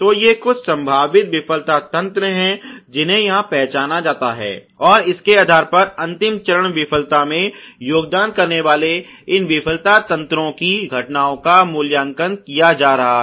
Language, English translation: Hindi, So, these are some of the potential failure mechanisms which are identified here and based on that the occurrence of these failure mechanisms contributing to the final failure ok is being rated here